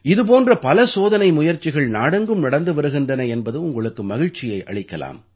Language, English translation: Tamil, You will be happy to know that many experiments of this kind are being done throughout the country